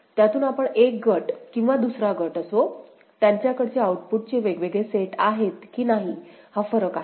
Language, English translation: Marathi, From that, we shall make a distinction whether one group or the other group, they have different set of outputs or not that is the thing